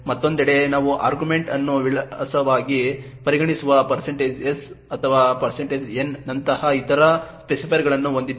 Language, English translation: Kannada, On the other hand, we have other specifiers such as the % s or % n which considers the argument as an address